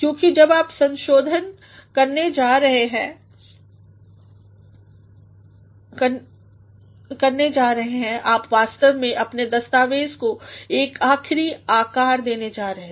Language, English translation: Hindi, Because when you are going to revise you are actually going to give your document the final shape